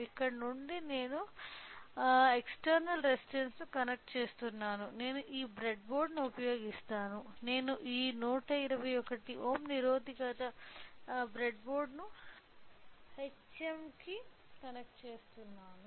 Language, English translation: Telugu, So, since here we are connecting external resistor what I will be doing is that I will use this breadboard, I am connecting this 121 ohm resistance to the breadboard hm